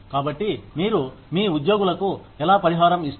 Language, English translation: Telugu, So, how do you compensate your employees